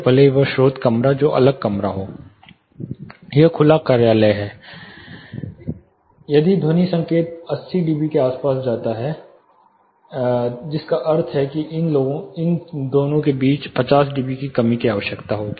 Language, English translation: Hindi, Even if the source room that is a next room; that is open office if the sound signal goes to say around 80 d b, which means a 50 db reduction will be required between these two